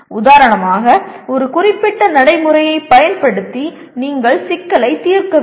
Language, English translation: Tamil, Like for example using a certain procedure you should solve the problem